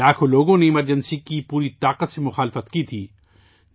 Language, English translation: Urdu, Lakhs of people opposed the emergency with full might